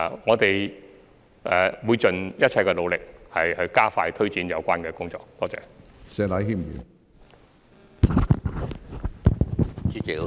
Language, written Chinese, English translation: Cantonese, 我們會盡一切努力，加快推展有關工作。, We will make every effort to expedite the relevant work